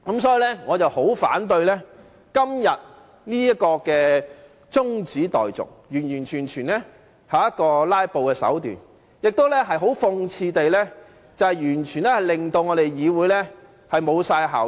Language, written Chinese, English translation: Cantonese, 所以，我十分反對今天這項中止待續議案，這完全是"拉布"的手段，亦很諷刺地令我們的議會完全失去效益。, Therefore I strongly object to this adjournment motion today . It is entirely a means to filibuster and most ironically it strip this Council of all its efficiency